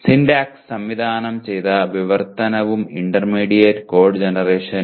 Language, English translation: Malayalam, Syntax directed translation and intermediate code generation